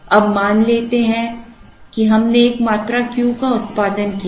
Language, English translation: Hindi, Now, let us assume that we produced a quantity Q